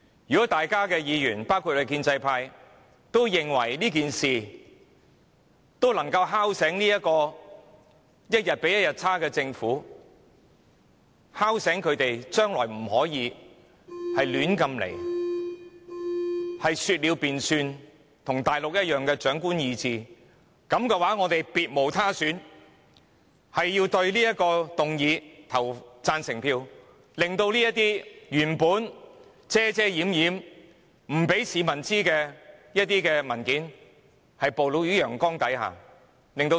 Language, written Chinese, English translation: Cantonese, 如果各位議員也認為這樣做能夠敲醒這個一天比一天差勁的政府，令它知道將來不可以再亂來、說了便算和跟大陸一樣奉行長官意志，那我們別無選擇，只好表決贊成這項議案，令那些原本不讓市民知悉的文件曝露於陽光下，令市民和立法會可以監察政府。, If Members including those from the pro - establishment camp also agree that this can be a wake - up call to the worsening Government reminding the Government that it can no longer ignore the rules act arbitrarily and follow the Mainland practice of domination of the authority then we have no choice but to vote in favour of this motion so that all documents that were previously kept from the public can be exposed under the sun thereby enabling the general public and the Legislative Council to monitor the Government